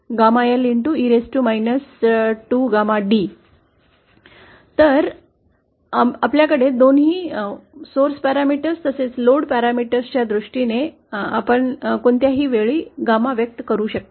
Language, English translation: Marathi, So we have both key, you can express gamma at any point in terms of both the source parameters as well as the load parameters